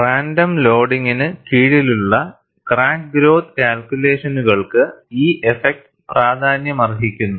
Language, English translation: Malayalam, This effect becomes significant, for crack growth calculations under random loading